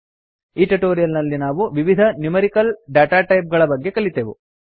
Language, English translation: Kannada, In this tutorial we have learnt about the various numerical datatypes